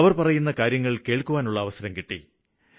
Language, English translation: Malayalam, I had the opportunity to hear them speak